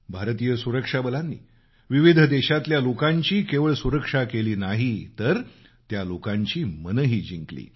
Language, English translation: Marathi, Indian security forces have not only saved people in various countries but also won their hearts with their people friendly operations